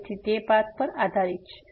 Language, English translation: Gujarati, So, it depends on the path